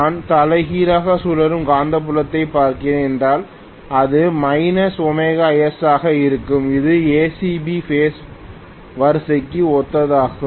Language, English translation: Tamil, If I am looking at reverse rotating magnetic field, it will be minus omega S which is corresponding to ACB phase sequence